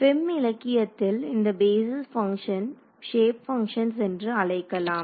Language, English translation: Tamil, In the FEM literature these basis functions are also called shape functions